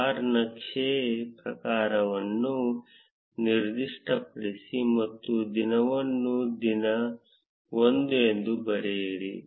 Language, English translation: Kannada, Specify the type that is bar chart and write the day as day 1